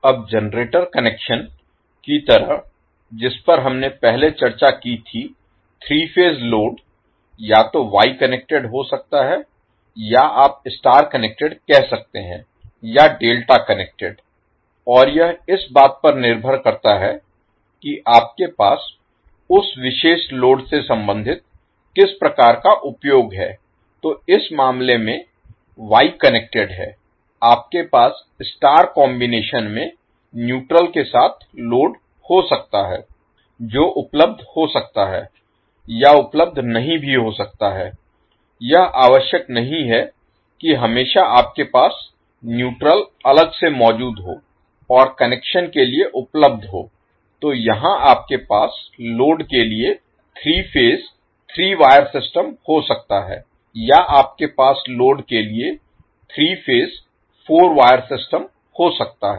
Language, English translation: Hindi, Now like the generator connection which we discussed previously three phase load can also be either your wye connected or you can say star connected or delta connected and it depends upon what type of end application you have related to that particular load, so in the case wye connected you will have the loads components connected in star combination with neutral it may be available or may not be available it is not necessary that you will always have neutral physically present and reachable for connections, so here you might have three phase three watt system for the load or you can have three phase four wire system for the load